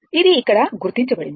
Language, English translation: Telugu, It is marked here